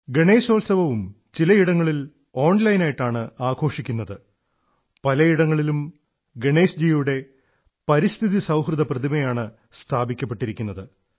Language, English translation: Malayalam, Even Ganeshotsav is being celebrated online at certain places; at most places ecofriendly Ganesh idols have been installed